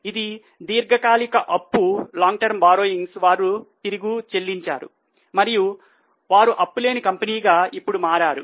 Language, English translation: Telugu, Their long term borrowings they have repaid and have become a zero dead company now